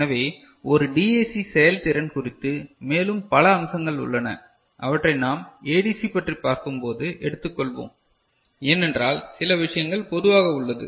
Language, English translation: Tamil, So, there are more aspects regarding a DAC performance, which we shall take up when we discuss ADC, because certain things are common right